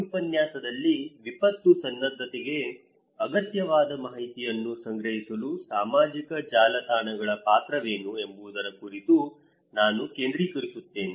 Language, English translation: Kannada, In this lecture, I will focus on what is the role of social networks to collect information that is necessary for disaster preparedness